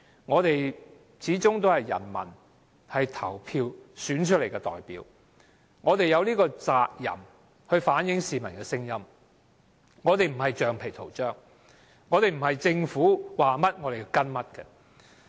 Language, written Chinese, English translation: Cantonese, 我們始終是人民投票選出來的代表，我們有責任反映市民的聲音，我們不是橡皮圖章，不是政府說甚麼便跟隨。, We are after all the representatives elected by the people and we have the responsibility to reflect the voices of the public . We are not rubber stamps and we do not follow whatever the Government says